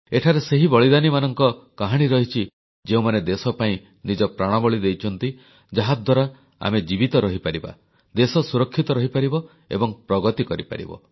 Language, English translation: Odia, This place stands testimony to a series of sacrifices of men who laid down their lives for the sake of their country, so that we could live, so that the country could be safe & secure, paving the way for development